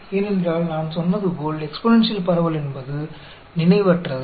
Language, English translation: Tamil, Why, because, as I said, exponential distribution is memory less